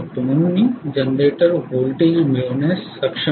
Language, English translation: Marathi, So I would be able to get the generated voltage